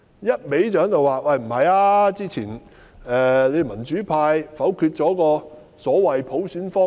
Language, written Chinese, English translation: Cantonese, 一味表示之前民主派否決了所謂的普選方案。, The Government keeps accusing the pro - democracy camp of vetoing the so - called universal suffrage package